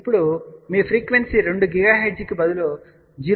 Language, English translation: Telugu, So, we now put frequency as 2 gigahertz